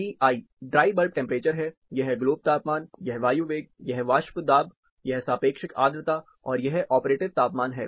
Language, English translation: Hindi, Ti is dry bulb temperature, globe temperature, air velocity, this is vapor pressure, relative humidity, and this is operative temperature